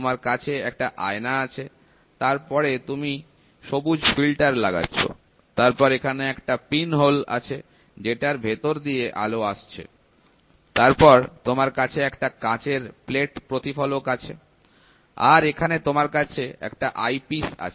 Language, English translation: Bengali, So, you have a mirror, then you put green filter, then you have pinholes through which the light passes through, then you have a glass plate reflector, you have an eyepiece here